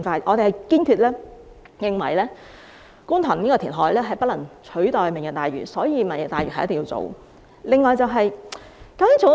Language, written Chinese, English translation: Cantonese, 我們堅決認為，觀塘填海不能取代"明日大嶼"，因此"明日大嶼"一定要進行。, This is not acceptable . We must do it quick . We are firmly convinced that the Kwun Tong reclamation cannot substitute the Lantau Tomorrow Vision and hence the latter must be carried out